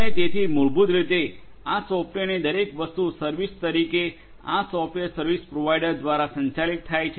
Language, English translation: Gujarati, And so everything this software as a service basically, is managed through this software service provider